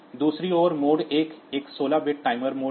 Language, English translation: Hindi, So, they are 16 bit timers